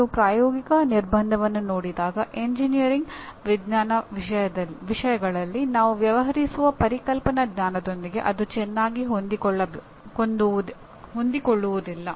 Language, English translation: Kannada, When you look at this piece of knowledge, practical constraint, it does not nicely fit with the kind of concepts that we deal with, conceptual knowledge we deal with in engineering science subjects